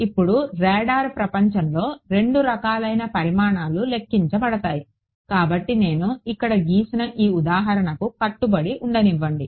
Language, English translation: Telugu, Now, so there are in the world of radar there are two different kinds of sort of quantities that are calculated; so, let us let us stick to this example which I have drawn over here